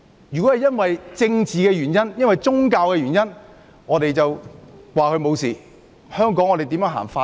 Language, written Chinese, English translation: Cantonese, 如果因政治或宗教原因而不作檢控，香港如何落實法治？, If prosecution is not initiated for political or religious reasons how can the rule of law be implemented in Hong Kong?